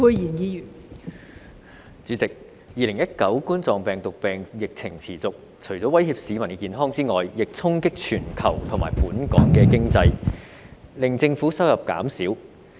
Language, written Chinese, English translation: Cantonese, 代理主席 ，2019 冠狀病毒病疫情持續，除了威脅市民的健康外，亦衝擊全球及本港經濟，令政府收入減少。, Deputy President the persistence of the COVID - 19 epidemic has not only threatened the health of the public but also impacted the global and local economies and reduced revenue of the Government